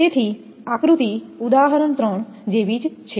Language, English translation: Gujarati, So, the diagram is similar to example three